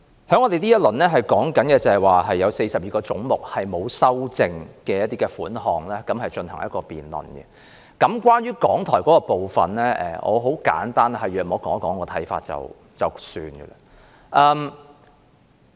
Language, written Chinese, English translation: Cantonese, 在這個環節，我們就42個沒有修正案的總目款項進行辯論，我想就香港電台的部分簡單說一說我的看法。, In this session the debate will focus on the 42 heads with no amendment . I wish to briefly comment on the part concerning Radio Television Hong Kong RTHK